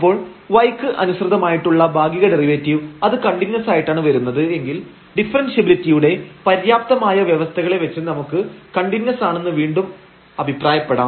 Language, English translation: Malayalam, So, the partial derivative of f with respect to y and if that comes to be continuous again we can claim based on the sufficient condition of differentiability, because we need to have the continuity of one of the partial derivatives to claim that the function is differentiable